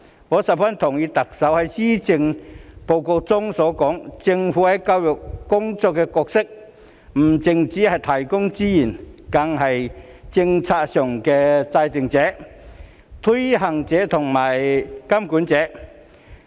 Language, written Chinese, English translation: Cantonese, 我十分同意特首在施政報告中所說，政府在教育工作的角色不只是提供資源，更是政策的制訂者、推行者及監管者。, I cannot agree more with what the Chief Executive has said in the Policy Address that the role of the Government in education is not merely a provider of resources but also a policy maker administrator and regulator